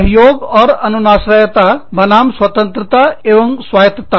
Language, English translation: Hindi, Cooperation and interdependence versus independence and autonomy